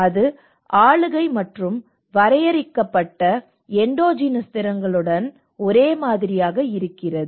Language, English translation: Tamil, Also come into the governance and limited endogenous capacities